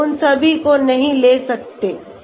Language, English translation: Hindi, We cannot take all of them